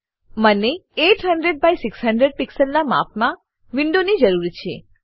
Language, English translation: Gujarati, I need a window of size 800 by 600 pixels